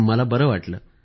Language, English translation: Marathi, I liked it